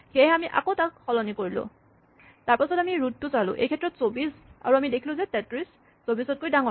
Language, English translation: Assamese, So, we swap it again then we look at the root, in this case 24 and we find that 33 is bigger than 24